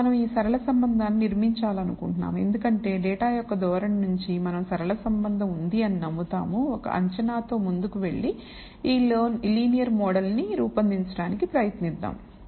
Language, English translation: Telugu, Now we want to build this linear relationship, because from the trend of the data we believe a linear relationship exists let us go ahead with an assumption and just try to build this linear model